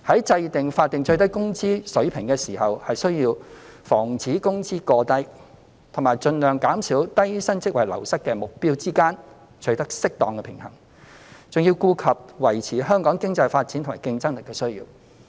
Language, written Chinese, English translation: Cantonese, 在訂定法定最低工資水平時，需要在防止工資過低與盡量減少低薪職位流失的目標之間取得適當的平衡，還要顧及維持香港經濟發展及競爭力的需要。, When setting the SMW rate we must have regard to the need to maintain an appropriate balance between forestalling excessively low wages and minimizing the loss of low - paid jobs as well as the need to sustain Hong Kongs economic growth and competitiveness